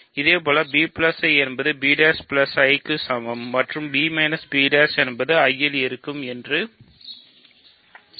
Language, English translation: Tamil, Similarly, b plus I is equal to b prime plus I implies b minus b prime is in I ok